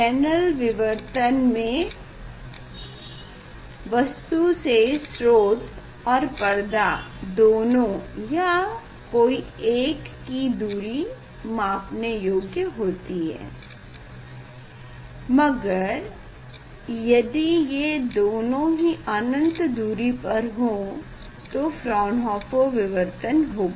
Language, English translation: Hindi, in case of Fresnel diffraction, the object and the screen that distance are either both or one of them will be at highlight distance ok, if both are a at infinite distance then we tell the Fresnel Fraunhofer fraction